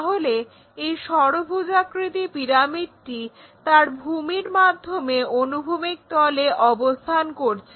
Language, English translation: Bengali, So, when this pyramid, hexagonal pyramid resting on horizontal plane with its base